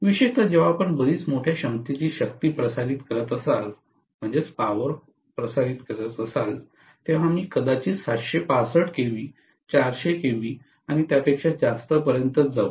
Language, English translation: Marathi, Especially, when you are transmitting a very large capacity of power, we may go as high as 765 KV, 400 KV and so on